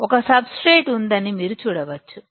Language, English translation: Telugu, You can see there is a substrate